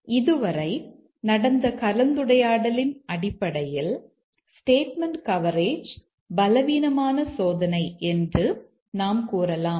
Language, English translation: Tamil, So, based on our discussion so far, we can say that the statement coverage is the weakest testing and so is the basic condition coverage testing